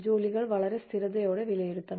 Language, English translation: Malayalam, Jobs should be evaluated in a very consistent manner